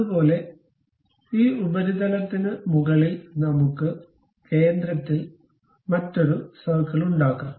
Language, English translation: Malayalam, Similarly, on top of that surface, let us make another circle at center